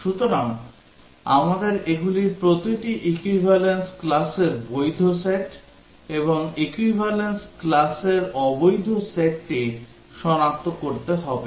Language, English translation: Bengali, So, we need to identify each of this, the valid set of equivalence classes and the invalid set of equivalence classes